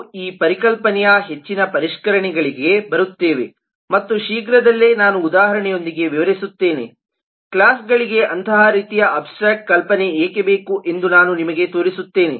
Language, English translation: Kannada, we will come to more refinements of this concept and soon i will explain with this example only i will show you why such kind of abstract notion is required for the classes